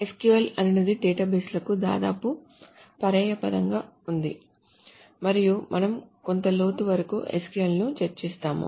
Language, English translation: Telugu, So SQL is almost synonymous to databases and we will go over SQL in some depth